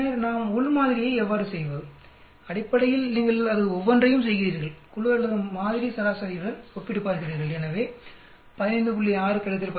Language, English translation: Tamil, And then how do we do with within sample basically you do each one of them compare it with the group or sample average, so 15